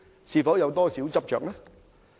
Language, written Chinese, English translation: Cantonese, 是否有點執着？, Is that somewhat stubborn?